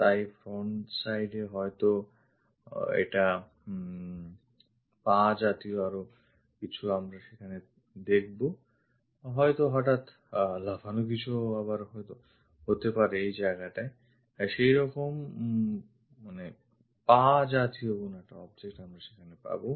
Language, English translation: Bengali, So, at front side perhaps it is more like a kind of legs we might be seeing there, might be sudden jump and again perhaps we might have such kind of leg such kind of object